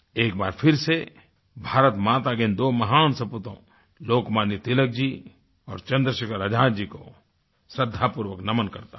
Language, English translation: Hindi, Once again, I bow and pay tributes to the two great sons of Bharat Mata Lokmanya Tilakji and Chandrasekhar Azad ji